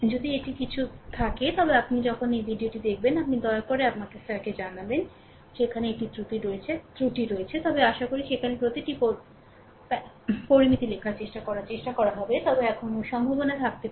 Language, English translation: Bengali, If it is anything is there, you just ah when you will go through this video, you please inform me sir, there it is a there is a error, but hope trying to look into every trying to look into each and every parameter there writing, but still there may be a probability